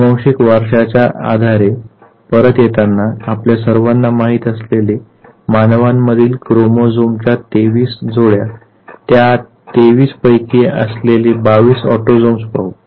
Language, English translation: Marathi, Coming back to the basis of genetic inheritance, we all know that human beings have 23 pairs of chromosomes and of this 23, 22 are autosomes